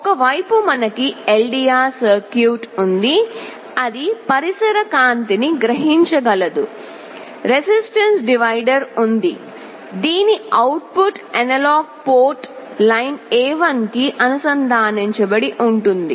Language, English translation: Telugu, On one side we have the LDR circuit that will be sensing the ambient light; there is a resistance divider the output of which is connected to the analog port line A1